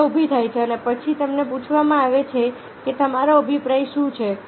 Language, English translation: Gujarati, the problem is posed and then they are asked: what is your opinion